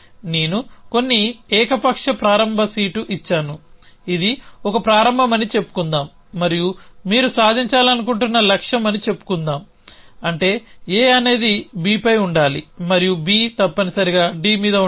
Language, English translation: Telugu, Some arbitrary starts seat I have given so let us say this is a start and that is a goal say that you want to achieve which is that A should be on B and B should be on D essentially